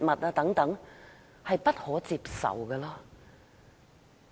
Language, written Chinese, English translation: Cantonese, 這安排是不可接受的。, Such an arrangement is unacceptable